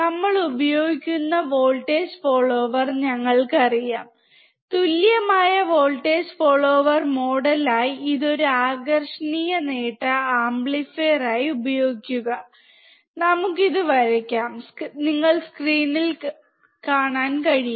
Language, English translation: Malayalam, We know that voltage follower we use, if we use it as a unity gain amplifier the equivalent voltage follower model, we can draw it as you can see on the screen